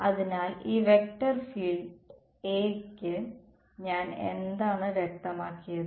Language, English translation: Malayalam, So, for this vector field A what have I specified